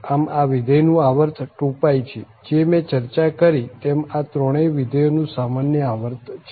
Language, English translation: Gujarati, So, the function has this period 2 pi which is a common period of all these three functions which I have already discussed